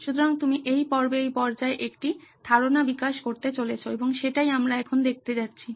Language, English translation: Bengali, So that is, you develop a concept in this phase, in this stage and that is what we are going to see now